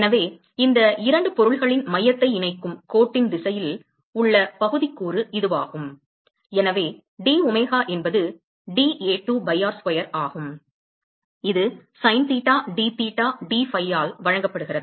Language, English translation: Tamil, So, this is the area component in the direction of the line that joint the center of these 2 objects and so domega is dA2 by r square and that is given by sin theta dtheta dphi